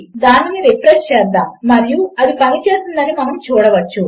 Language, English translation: Telugu, Lets refresh that and we can see that it worked